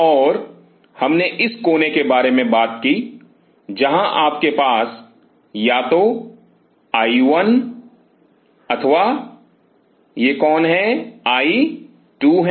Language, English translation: Hindi, And we talked about either this corner where you have either I 1 or this corner I 2